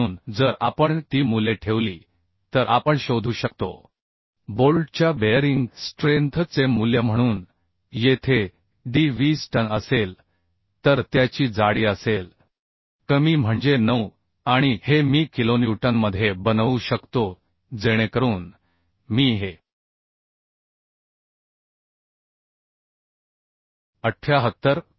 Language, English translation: Marathi, 53 So if we put those values then we can find out the value of bearing strength of the bolt so here d will be 20 t will be the thickness of the lesser one so that is 9 and fu is this I can make into kilonewton so I can find out this value as 78